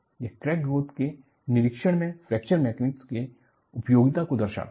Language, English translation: Hindi, This really brings out the utility of Fracture Mechanics in monitoring crack growth